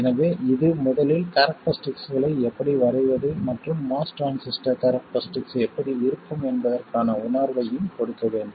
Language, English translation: Tamil, So they should also give you a feel for first of all how to sketch the characteristics and what the most transistor characteristics look like